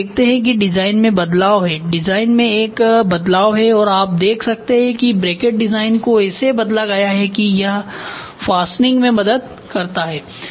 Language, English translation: Hindi, So, you see that there is a change in the design; there is a change in the design so, you can see the bracket design is changed such that it helps in fastening